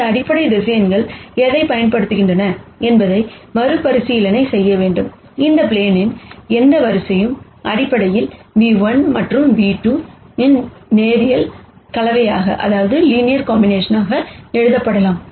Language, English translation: Tamil, Just to recap what this basis vectors are useful for is that, any line on this plane, basically can be written as a linear combination of nu 1 and nu 2